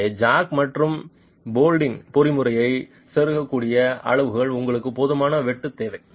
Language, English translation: Tamil, So, you need a cut sufficient enough to be able to insert the jack and the bolting mechanism